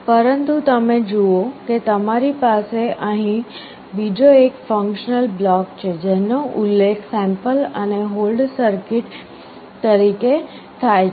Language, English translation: Gujarati, But you see you have another functional block out here, which is mentioned called sample and hold circuit